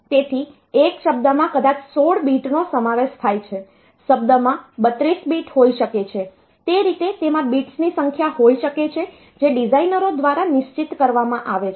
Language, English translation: Gujarati, So, a word maybe consisting of say 16 bit, a word may consist of 32 bits, that way it can consist of number of bits that is fixed by the designers